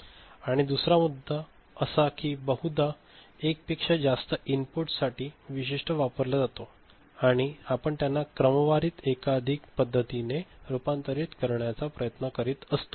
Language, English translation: Marathi, And another issue, one often thinks, often one particular ADC is used for multiple inputs is there a are multiple input is there and we are trying to convert them ok, sequentially right in a multiplex manner